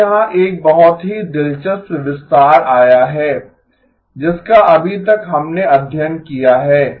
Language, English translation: Hindi, Now here comes a very interesting extension of what we have been studying so far